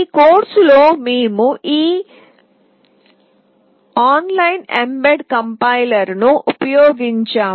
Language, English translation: Telugu, In this particular course we have used this online mbed compiler